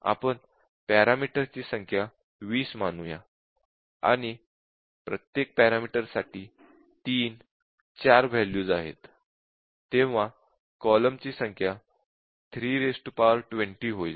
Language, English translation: Marathi, But let us say the number of parameter says 30, and each one takes let say 3, 4 values, so the number of columns will become 3 to the power 20